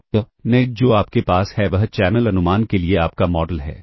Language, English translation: Hindi, So, next what you have is, this is your model for channel estimation